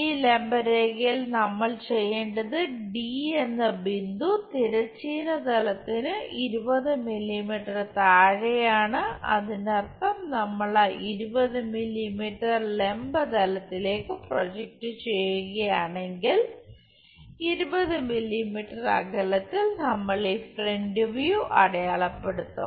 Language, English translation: Malayalam, On this perpendicular line what we have to do point d is 20 mm below horizontal plane; that means, if we are projecting that 20 mm onto vertical plane at a 20 mm distance we will mark this front view